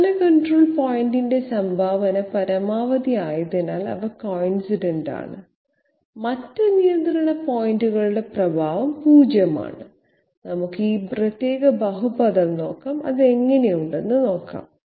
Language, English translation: Malayalam, And the last point of the curve, contribution of the last control point is maximum because of which they are coincident and the affect of other control point is 0, let us have a look at this particular polynomial, how it looks like